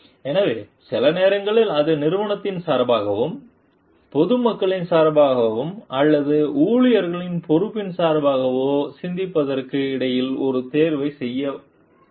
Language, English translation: Tamil, So, sometimes it may come to make a choice between the thinking in the behalf of the organization and the public at large or responsibility to the employee